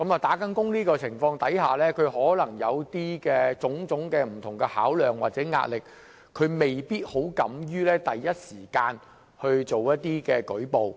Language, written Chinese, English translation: Cantonese, 在這種情況下，她們可能有種種不同的考量或壓力，未必敢於第一時間作出舉報。, Under such circumstances they may not have the courage to make a report at the first opportunity due to various considerations and pressure